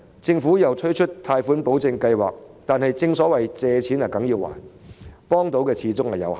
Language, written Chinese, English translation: Cantonese, 政府推出貸款保證計劃，但正所謂"借錢梗要還"，可以提供的幫助始終有限。, The Government has introduced a loan guarantee scheme but as money borrowed must be repaid the help rendered is limited after all